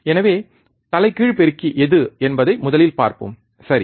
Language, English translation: Tamil, So, let us see first thing which is the inverting amplifier, right